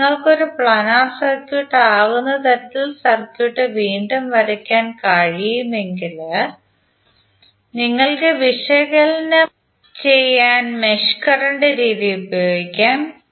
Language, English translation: Malayalam, But if you can redraw the circuit in such a way that it can become a planar circuit then you can use the mesh current method to analyse it